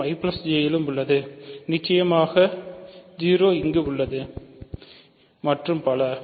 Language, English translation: Tamil, So, this is in I plus J, ok and certainly 0 is there and so on